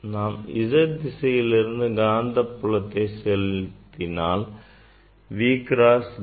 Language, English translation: Tamil, Now, along the Z direction if I apply magnetic field, so V cross B